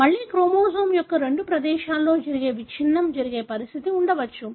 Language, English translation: Telugu, Again there could be condition, wherein there is breakage that happens in two places of chromosome